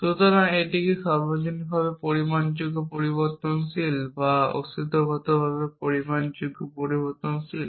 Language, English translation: Bengali, So, is this a universally quantified variable or existentially quantified variable